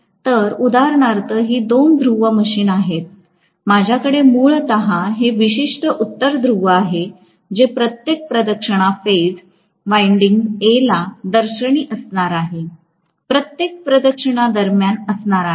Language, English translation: Marathi, So, for example, if it is going to be a two pole machine, I am going to have basically this particular North Pole facing the phase winding A every revolution, during every revolution